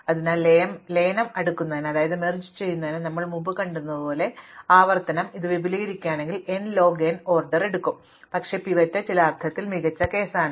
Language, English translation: Malayalam, So, we have as we saw in merge sort, this recurrence takes order n log n if we expand it out, but the pivot is in some sense the best case